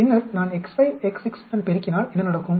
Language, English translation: Tamil, Now I want to introduce 2 more factors x 5 and x 6